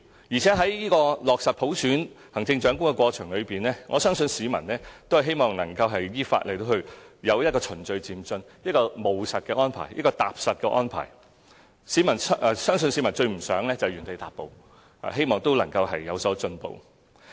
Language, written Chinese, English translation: Cantonese, 而且在落實普選行政長官的過程中，我相信市民均希望能夠有一個依法、循序漸進、務實和踏實的安排，相信市民最不希望原地踏步，而是希望有所進步。, Furthermore in the process of realizing universal suffrage in the election of the Chief Executive I believe the public are expecting arrangements that are lawful gradual and orderly practical and realistic . They do not want to stay put but to make progress